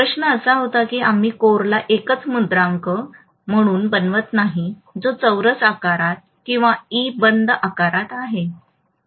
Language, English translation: Marathi, The question was, why don’t we make the core as one single stamping which is in square shape or in E closed shape